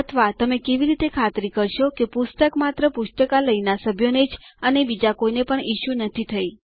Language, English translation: Gujarati, Or how will you ensure that a book is issued to only members of the library and not anyone else